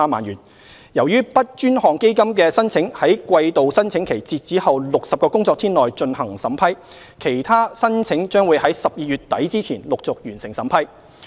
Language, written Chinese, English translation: Cantonese, 由於 BUD 專項基金的申請在季度申請期截止後60個工作天內進行審批，其他申請將會於12月底之前陸續完成審批。, As applications for the BUD Fund are processed within 60 working days upon the quarterly application deadline processing of the other applications will be completed by end December